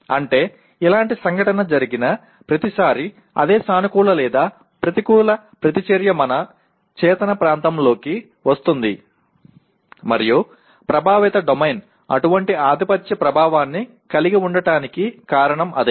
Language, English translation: Telugu, That means every time a similar event occurs the same positive or negative reaction also comes into our conscious area and that is the reason why affective domain has such a dominant effect